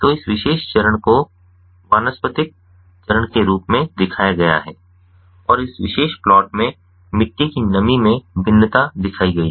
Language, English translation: Hindi, so this particular phase is shown to be the vegetative phase and the soil moisture variation is shown in this particular plot